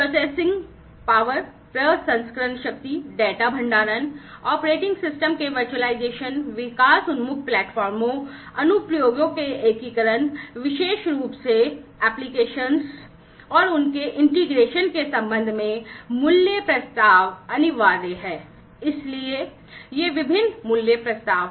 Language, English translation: Hindi, Value proposition with respect to the processing power, data storage, virtualization of the operating system, development oriented platforms, integration of applications, applications you know specifically the applications, so applications and their integration essentially; so these are the different value propositions